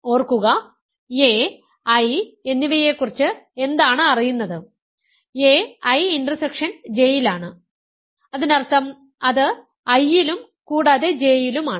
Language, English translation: Malayalam, Remember, what is known about a and I, a it is in I intersection J; that means, it is in I as well as it is in J